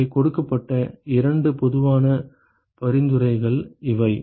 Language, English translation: Tamil, So, these are the two general suggestions that is given